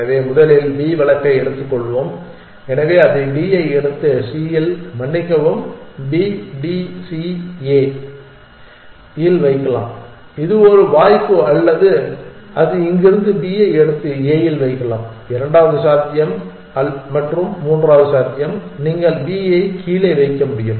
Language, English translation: Tamil, So, let us first take the B case, so it can pick up D and put it on C on D sorry B, D, E, C A, that is one possibility or it can pick up B from here and put it on a that is second possibility and the third possibility is you can it can put B down